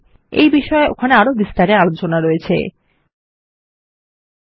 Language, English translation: Bengali, We can discuss this further there